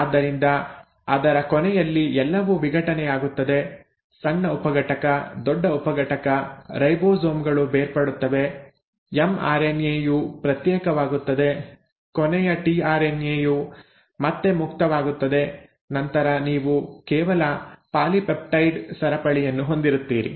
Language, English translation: Kannada, So at the end of it everything gets dissociated, the small subunit, the large subunit, the ribosomes come apart, the mRNA comes apart, the tRNA becomes free again, the last tRNA and then you are left with just the polypeptide chain